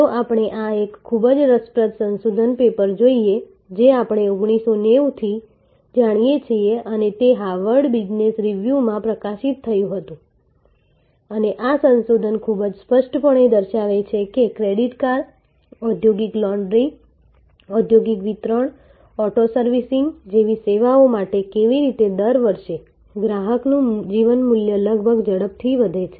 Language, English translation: Gujarati, Let us look at this a very interesting research paper that we know right from 1990 and this was published in Harvard business review and this research very clearly shows that for services like credit card, industrial laundry, industrial distribution, auto servicing, how year upon year the life time value of the customer increases almost exponentially